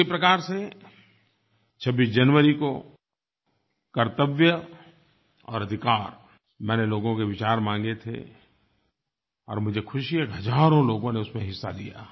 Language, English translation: Hindi, In the same way I asked for views on 'Duties and Rights' on January 26 and I am happy that thousands of people participated in it